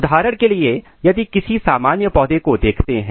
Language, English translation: Hindi, For example, if you look this typical plant